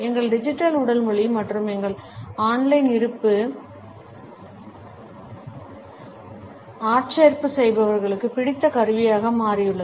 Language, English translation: Tamil, Our digital body language as well as our on line presence has become a favourite tool for recruiters